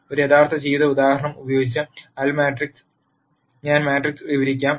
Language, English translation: Malayalam, Let me explain matrix using a real life example